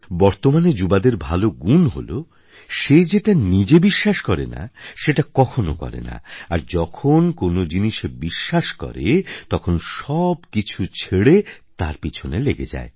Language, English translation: Bengali, Today's youths have this special quality that they won't do anything which they do not believe themselves and whenever they believe in something, they follow that leaving everything else